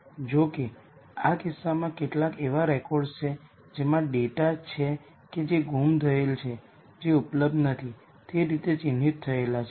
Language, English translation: Gujarati, However, in this case there are some records which has data that is missing these are marked as not available n a